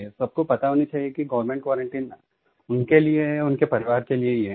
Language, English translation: Hindi, Everyone should know that government quarantine is for their sake; for their families